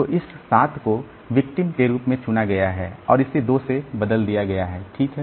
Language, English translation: Hindi, So, this 7 is selected as victim and it is replaced by 2